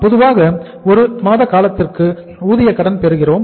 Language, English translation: Tamil, Normally we get the credit of wages for a period of 1 month